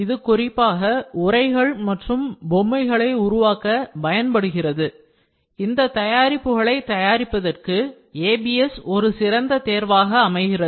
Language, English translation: Tamil, So, this is specifically using casing and toys which makes ABS is a very good choice for producing these products